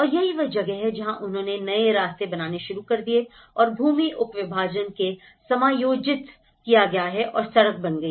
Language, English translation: Hindi, And that is where then they started making new paths and the land subdivision has been adjusted and the road is built